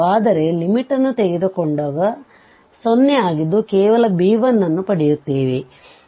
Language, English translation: Kannada, But when we take the limit this portion will become 0 and here we will get just b1